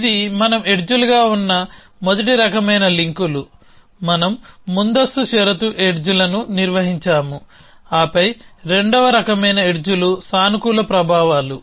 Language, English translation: Telugu, So, this is a first kind of links we have been edges, we have maintained the precondition edges then the second kind of edges are positive effects